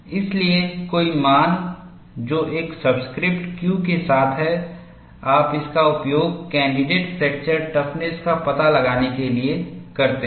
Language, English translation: Hindi, So, any value which is with a subscript Q, you use it for finding out the candidate fracture toughness